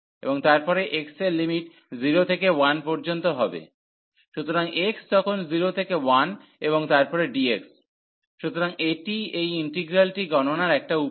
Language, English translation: Bengali, And then the x limits will be from 0 to 1, so then x from 0 to 1 and then the dx, so that is the one way of computing the integral